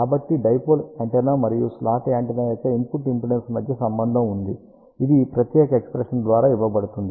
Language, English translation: Telugu, So, there is a relation between the input impedance of the dipole antenna and slot antenna, which is given by this particular expression